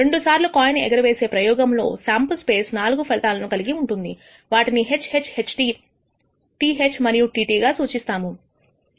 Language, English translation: Telugu, In the two coin toss experiment the sample space consists of 4 outcomes denoted by HH, HT, TH and TT